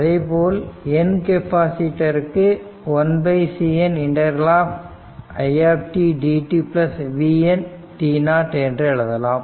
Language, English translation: Tamil, So, similarly for n th capacitor up to n 1 upon CN t 0 t it dt plus t n t 0 right